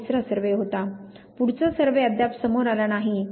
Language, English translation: Marathi, This was the third survey, the forth survey has not at come forward